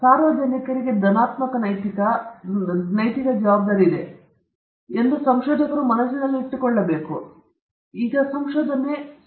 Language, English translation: Kannada, So, researchers should keep this in mind that they have a positive ethical, moral responsibility towards public; that their work should benefit the public in a significant manner